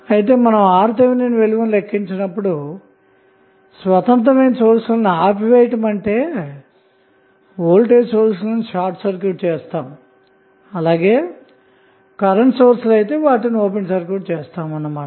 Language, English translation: Telugu, So, when we calculate R Th we make the independence sources turned off that means that voltage source independent voltage source would be short circuited and independent current source will be open circuited